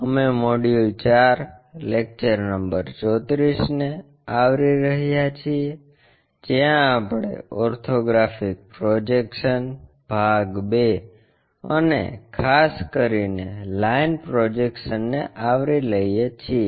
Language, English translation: Gujarati, We are covering module 4, lecture number 34, where we are covering Orthographic Projections Part II and especially the line projections